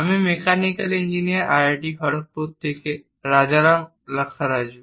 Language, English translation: Bengali, I am Rajaram Lakkaraju from Mechanical Engineering IIT Kharagpur